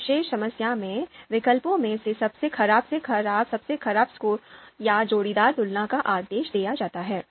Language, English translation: Hindi, So in this particular problem, alternatives are ordered from best to worst by means of scores or pairwise comparisons